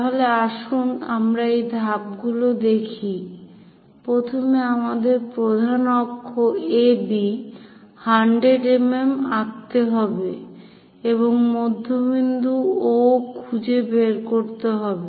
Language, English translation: Bengali, So, let us look at this steps, first of all, we have to draw major axis AB 100 mm and locate the midpoint O